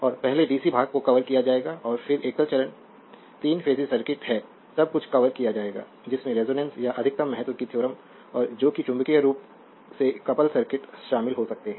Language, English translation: Hindi, And your first the dc part will be covered and then your single phase, three phases is circuit everything will be covered may have your including resonance or maximum importance for theorem and your what you call that magnetically couple circuits